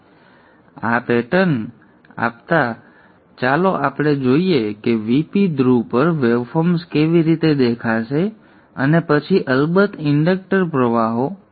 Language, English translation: Gujarati, Now given this pattern let us see how the waveforms will appear at the VP the pole and then of course the inductor currents